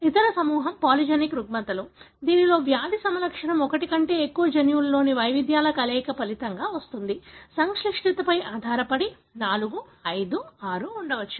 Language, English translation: Telugu, The other group is polygenic disorders, wherein the disease phenotype results from a combination of variations in more than one gene, may be 4, 5, 6 depending on what is the complexity